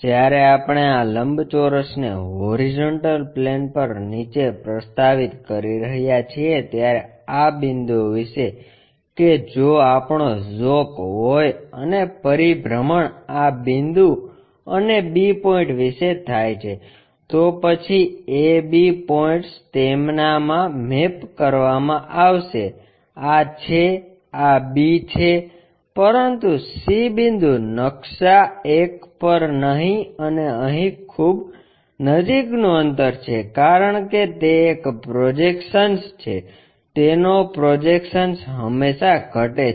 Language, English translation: Gujarati, When we are projecting this rectangle all the way down onto horizontal plane these points about that if we have an inclination and rotation happens about this A point and B point then AB points will be mapped to their this is a this is b, but C point maps at much closer distance here and here, because it is a projection, projection of that always decreases